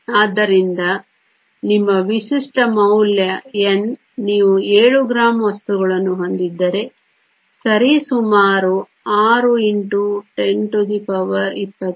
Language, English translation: Kannada, So, your typical value of N, if you had seven grams of material is approximately 6 times 10 to the 23